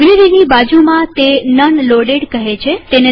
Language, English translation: Gujarati, Next to the library, it says None Loaded